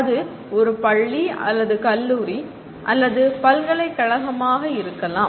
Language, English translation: Tamil, It could be a school or a college or a university